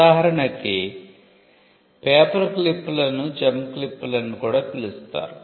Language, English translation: Telugu, For instance; paperclips were also known as gem clips